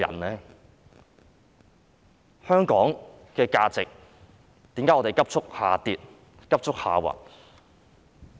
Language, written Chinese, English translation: Cantonese, 為何香港價值急速下跌、下滑？, Why would the values of Hong Kong plunge and sink rapidly?